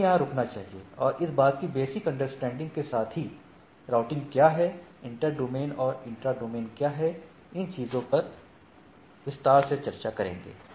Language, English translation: Hindi, So, let us stop here and with that basic understanding of what is routing, what are inter domain and inter domain, intra, inter domain routing and in the subsequent lecture we will we will discuss in detail those things